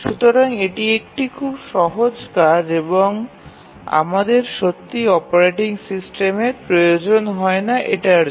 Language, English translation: Bengali, So, that is a very simple task and we do not really need an operating system